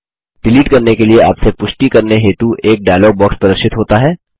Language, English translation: Hindi, A dialog box requesting you to confirm the delete action appears.Click OK